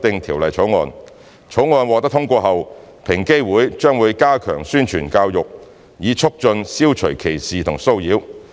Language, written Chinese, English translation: Cantonese, 《條例草案》獲通過後，平機會將加強宣傳和教育，以促進消除歧視和騷擾。, Upon the passage of the Bill EOC will step up publicity and education to promote the elimination of discrimination and harassment